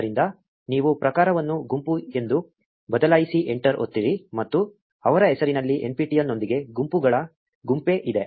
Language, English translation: Kannada, So, you change the type to be group press enter and there is a bunch of groups with nptel in their name